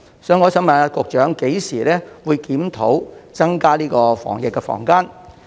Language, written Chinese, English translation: Cantonese, 所以，我想問局長，何時會檢討增加防疫的房間數量？, Therefore may I ask the Secretary when the Government will examine the possibility of increasing the number of DQF rooms?